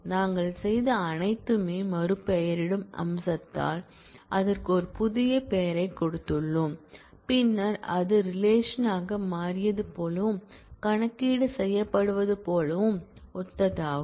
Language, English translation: Tamil, all that we have done we have given it a new name by the renaming feature, and then this as if becomes a relation and on that the computation is done rest of it is similar